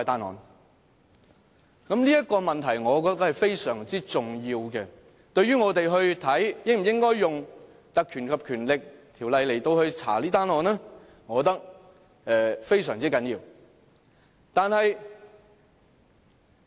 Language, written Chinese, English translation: Cantonese, "我覺得這問題是非常重要的，對於我們應否引用《立法會條例》調查這宗案件，我覺得非常重要。, I think this point is very important . It is very important to the question of whether we should invoke the Legislative Council Ordinance to look into the case